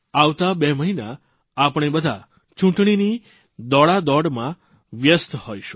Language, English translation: Gujarati, In the next two months, we will be busy in the hurlyburly of the general elections